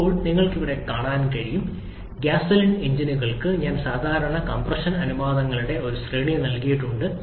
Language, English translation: Malayalam, Now, you can see here, I have given a range of typical compression ratios for gasoline engine